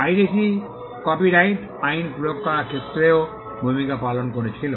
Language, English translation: Bengali, Piracy also played a role in having the copyright laws in place